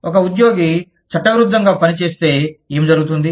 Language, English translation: Telugu, What happens, if an employee does, something illegal